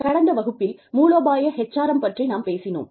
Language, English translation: Tamil, We talked about, strategic HRM, in the last class